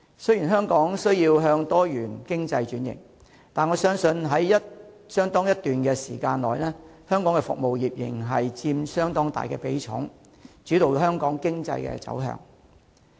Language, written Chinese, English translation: Cantonese, 雖然香港需要向多元經濟轉型，但我相信在相當一段時間內，香港服務業仍然會佔相當大的比重，主導香港經濟走向。, Despite the need for Hong Kong to be restructured into a diversified economy I believe the service sector in Hong Kong will for a certain period of time continue to take up a significant percentage share and steer the direction of economic development in Hong Kong